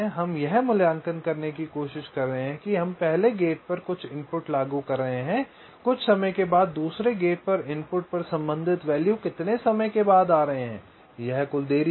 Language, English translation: Hindi, we are trying to evaluate that we are applying some input to the first gate after some time, after how much time the corresponding values are coming to the input of the second gate, this total delay, right now